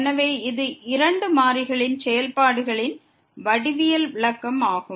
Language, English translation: Tamil, So, this is the interpretation the geometrical interpretation of the functions of two variables